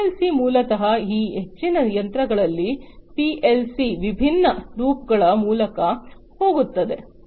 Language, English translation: Kannada, So, PLC basically in most of these machines PLC goes through different loops